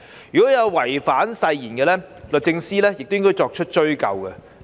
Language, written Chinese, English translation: Cantonese, 如有違反誓言者，律政司司長亦應作出追究。, If any member breaches the oath the Secretary for Justice SJ should also bring proceedings against him or her